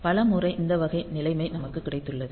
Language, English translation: Tamil, So, many times we have got this type of situation